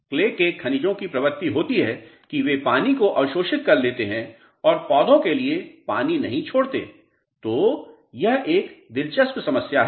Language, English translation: Hindi, The tendency of the clay minerals is to absorb water in them and they will not release any water to the plants ok